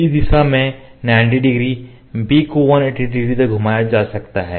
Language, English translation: Hindi, So, now, a rotated 90 degree a 90 degree b 180 let me repeat this is a 90 b 180